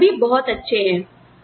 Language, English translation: Hindi, And, they are all, so great